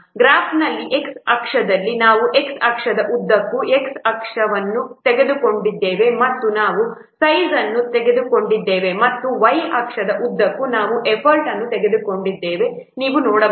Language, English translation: Kannada, You can see that in this graph we have taken along x axis we have taken size and along y axis we have taken no effort